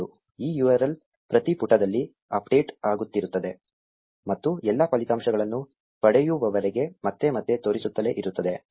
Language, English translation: Kannada, This URL keeps getting updated at every page and keeps on showing up again and again until all the results have been obtained